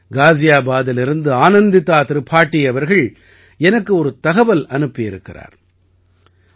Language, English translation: Tamil, I have also received a message from Anandita Tripathi from Ghaziabad